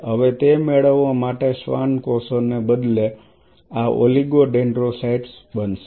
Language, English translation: Gujarati, In order to achieve now instead of Schwann cells this will become oligo dendrocytes